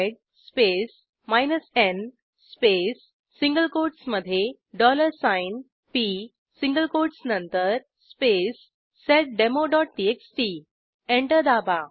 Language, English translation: Marathi, Now Type sed space n space [cC] omputers/p after the single quotesspace seddemo.txt Press Enter